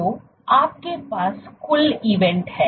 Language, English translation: Hindi, So, you have the total number of events